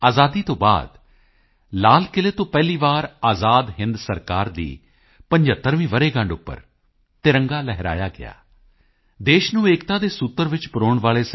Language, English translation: Punjabi, After Independence, for the first time ever, the tricolor was hoisted at Red Fort on the 75th anniversary of the formation of the Azad Hind Government